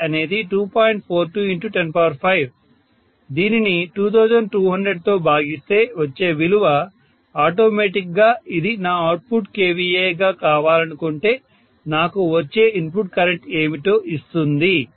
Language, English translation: Telugu, 42 into 10 power 5, so that divide by 2200 will automatically give me what should have been the input current, if I want this as my output kVA which is same as input kVA